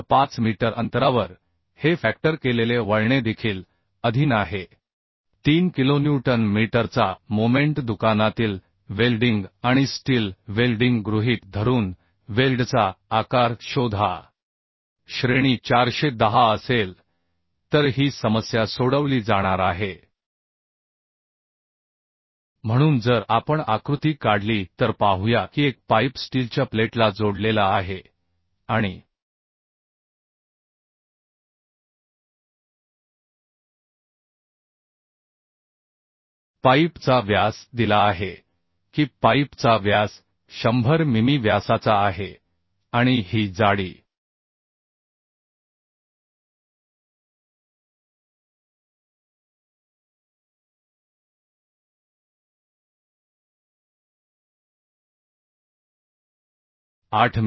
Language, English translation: Marathi, 5 metre from the welded end It is also subjected to a factored twisting moment of 3 kilonewton metre Find the size of the weld assuming shop welding and steel of grade to be 410 so this is the problem will be going to solve So if we draw the diagram let us see that a pipe is attached to a steel plate and the diameter of the pipe is given diameter of the pipe is at 100 mm diameter and this thickness thickness was 8 mm 8 mm thick pipe of 100 mm diameter and a load is acting say P of 10 kilonewton acting at a distance of 0